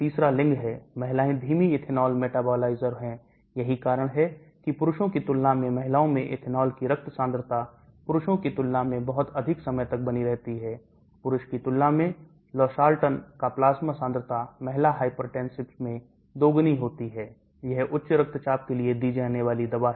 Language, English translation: Hindi, Third is sex, women are slower ethanol metabilizers that is why the blood concentration of ethanol in women remain much longer than men, plasma concentration of Losartan is twice as high in female hypertensive when compared to male, this is a drug given for hypertension